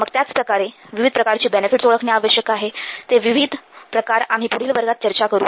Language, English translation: Marathi, So, there are the different types of benefits are there which we will discuss in the next class